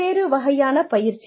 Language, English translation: Tamil, Various types of training